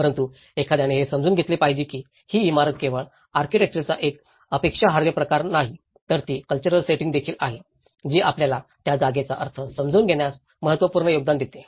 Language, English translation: Marathi, But one has to understand that the building is not just an objectified form of an architecture, it is also the cultural setting you know the cultural setting which makes an important contribution in understanding giving meanings to that place